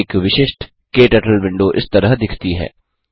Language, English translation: Hindi, A typical KTurtle window looks like this